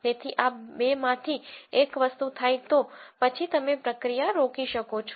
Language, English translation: Gujarati, So, one of these two things happen then you can stop the process